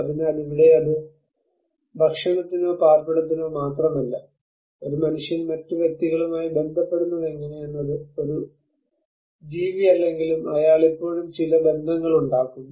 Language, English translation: Malayalam, So here whatever it is not just only for the food or the shelter it is how a man makes a sense of belonging with other individual though it is not a living being but he still makes some attachment